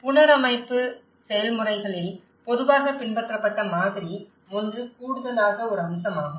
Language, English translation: Tamil, So, the model which generally which has been followed in the reconstruction processes is one is an aspect of addition